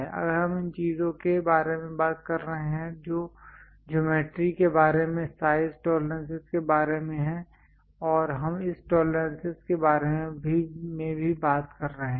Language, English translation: Hindi, These kind of things if we are talking about those are about size tolerances regarding geometry also we talk about this tolerances